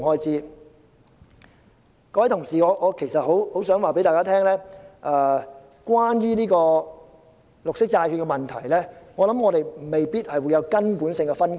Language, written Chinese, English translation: Cantonese, 各位同事，我很想告訴大家，關於綠色債券的問題，我們未必有根本性的分歧。, Honourable colleagues I am eager to tell all of you that on the issue of green bonds we may not necessarily hold any fundamental differences